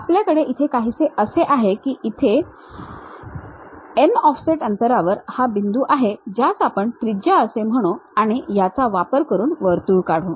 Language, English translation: Marathi, Something like, we have a point here with an offset distance as radius draw a circle